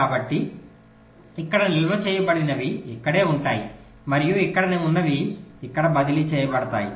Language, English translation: Telugu, so whatever is stored here, that will remain here, and whatever is here will get transferred here